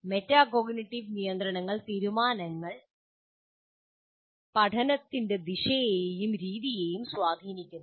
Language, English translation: Malayalam, Metacognitive control decisions influence the direction and the manner in which learning will continue